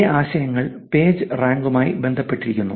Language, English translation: Malayalam, Same ideas are connected to Pagerank